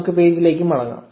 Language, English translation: Malayalam, Let us go back to the page